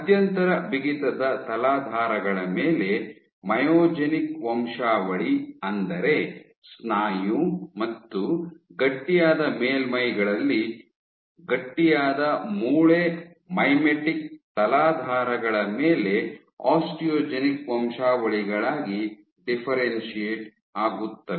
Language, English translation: Kannada, A myogenic lineage on intermediate stiffness surfaces, stiffness substrates, which mean that of muscle and on stiff surfaces and osteogenic lineages on stiff bone mimetic substrates